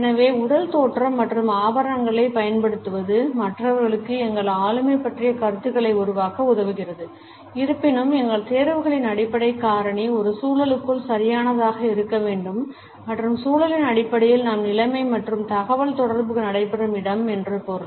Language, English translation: Tamil, So, about physical appearance and the use of accessories enables other people to form opinions about our personality, however the underlying factor in our choices should be appropriateness within an environment and by environment we mean the situation and the place where the communication takes place